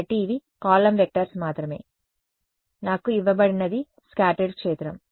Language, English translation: Telugu, So, these are just column vectors; what is given to me is the scattered field right